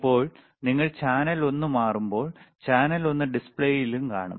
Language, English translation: Malayalam, Now when you switch channel one, you will also see on the display, channel one